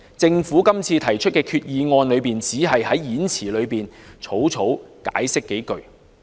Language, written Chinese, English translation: Cantonese, 政府這次提出擬議決議案，只在動議演辭中草草解釋數句。, The Government has just provided a perfunctory explanation of a few lines in its speech moving the proposed Resolution this time around